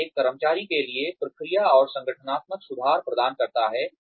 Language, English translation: Hindi, It provides a, process for employee, and organizational improvement